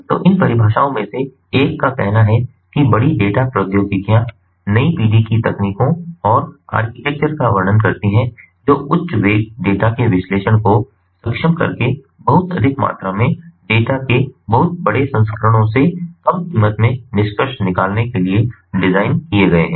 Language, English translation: Hindi, so one of these definitions talks: ah says that big data technologies describe a new generation of technologies and architectures designed to economically extract value from very large volumes of a very wide variety of data by enabling high velocity capture, discovery and or analysis